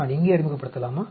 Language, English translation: Tamil, Do I introduce here